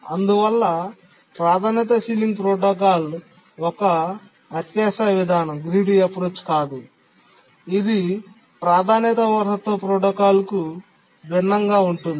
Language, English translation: Telugu, So we can say that Priority Sealing Protocol is not a greedy approach in contrast to the priority inheritance protocol which is a greedy approach